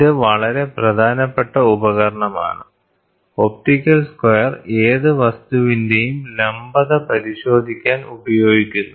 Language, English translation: Malayalam, This is very very important device optical square which is used to check the perpendicularity of any object